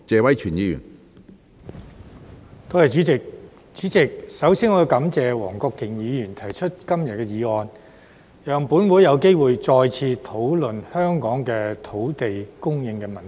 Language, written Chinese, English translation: Cantonese, 主席，我首先感謝黃國健議員提出今天的議案，讓立法會有機會再次討論香港的土地供應問題。, President I shall first thank Mr WONG Kwok - kin for proposing todays motion to allow discussion on the land supply issue in Hong Kong by the Legislative Council again